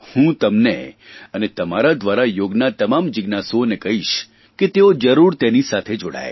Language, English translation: Gujarati, To you and through you to all the people interested in Yoga, I would like to exhort to get connected to it